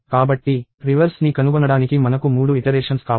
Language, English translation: Telugu, So, I need three iterations to find out the reverse